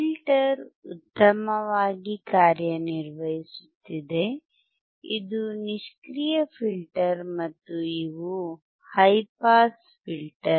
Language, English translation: Kannada, Filter is working fine, this is passive filter and these high pass filter